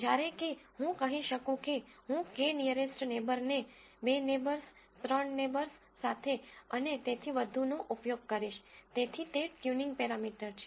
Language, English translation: Gujarati, Whereas, I could say, I will use a k nearest neighbor with two neighbors three neighbors and so on, so that is a tuning parameter